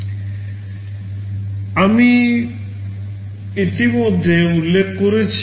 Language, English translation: Bengali, This is what I have already mentioned